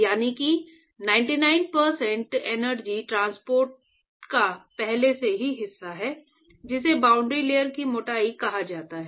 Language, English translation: Hindi, So, that is the 99 percent of energy transport is already accounted for that is what is called the boundary layer thickness